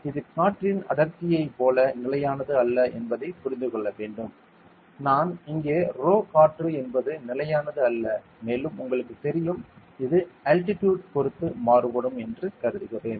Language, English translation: Tamil, So, it should be understood that this is not exactly like the density of air is not a constant like; I assumed here as rho air it is not constant it varies with the altitude you know that there are different layer heights for atmosphere so it varies